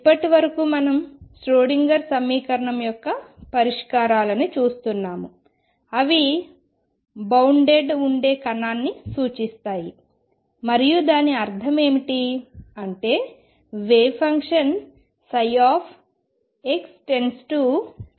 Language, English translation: Telugu, So far we have been looking for solutions of the Schrodinger equation that are that represent a bound particle and what does that mean; that means, the wave function psi x going to plus or minus infinity goes to 0